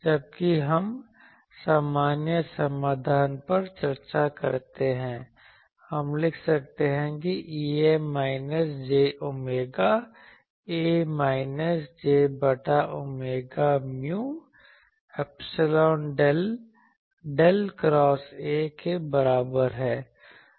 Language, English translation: Hindi, While we discuss the general solution that thing so we can write E A is equal to minus J omega A minus j by omega mu epsilon del del cross A